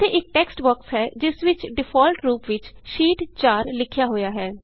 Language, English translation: Punjabi, There is a textbox with Sheet 4 written in it, by default